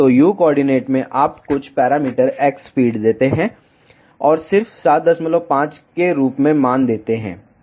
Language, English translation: Hindi, So, in u coordinate you gave some parameter x feed, and just give the value as 7